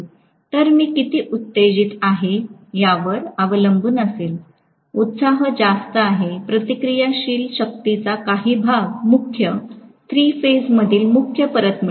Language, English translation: Marathi, So, I will have depending upon how much is the excitation, the excitation is in excess some portion of the reactive power will be returned back to the main, three phase mains